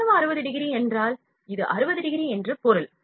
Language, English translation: Tamil, That 60 degree means if the angle is 60 degree like this